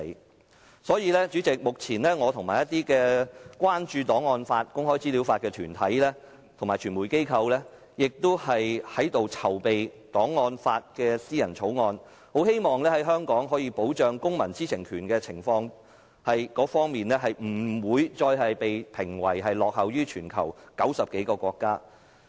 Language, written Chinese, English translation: Cantonese, 有鑒於此，主席，目前我和一些關注檔案法和公開資料法的團體和傳媒機構正在籌備有關檔案法的私人法案，希望香港在保障公民知情權方面，不會再被評為落後全球90多個國家。, In view of this President I together with some organizations and media corporations concerned about an archives law and legislation on access to information are preparing a Members bill on archives law in the hope that Hong Kong will no longer be ranked as lagging behind some 90 countries worldwide in the protection of the publics right to know . Under these circumstances I urge the Government to do its job properly